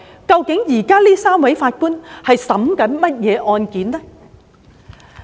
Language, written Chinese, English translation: Cantonese, 究竟這3位法官現時在審理甚麼案件？, In fact what cases are the three Judges adjudicating at present?